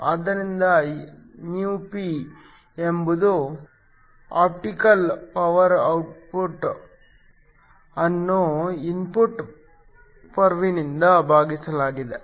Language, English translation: Kannada, So, ηp is the optical power out divided by the input power